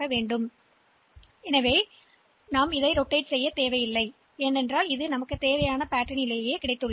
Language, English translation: Tamil, So, now here we do not need to rotate anything because this is the pattern that I want to store